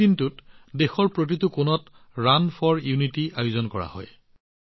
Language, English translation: Assamese, On this day, Run for Unity is organized in every corner of the country